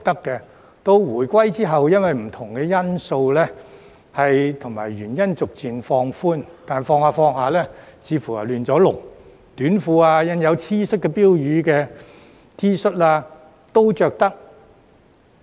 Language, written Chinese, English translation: Cantonese, 直至回歸後，因應不同因素而逐漸放寬，但慢慢放寬得似乎有點"亂籠"，短褲、印有標語的 T 恤都可以穿回來。, After the handover of sovereignty the rules were gradually relaxed due to different factors but the relaxation seemed to turn out to have gone too far . Short pants and T - shirts with slogans were allowed